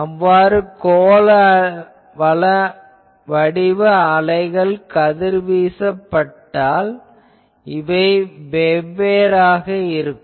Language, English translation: Tamil, If they do not radiate spherical waves, this will be something else